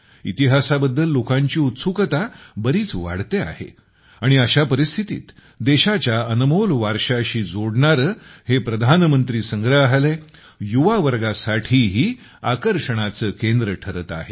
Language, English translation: Marathi, People's interest in history is increasing a lot and in such a situation the PM Museum is also becoming a centre of attraction for the youth, connecting them with the precious heritage of the country